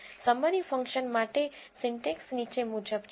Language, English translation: Gujarati, Syntax for the summary function is as follows